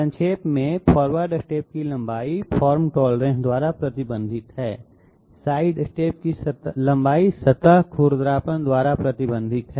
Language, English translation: Hindi, To summarize, length of forward step is restricted by form tolerance, length of sidestep is restricted by surface roughness